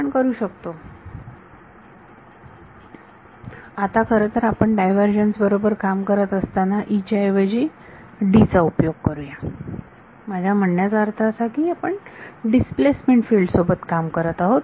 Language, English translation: Marathi, We can; now since we are working with divergences less is use D instead of E; I mean since your working with the displacement field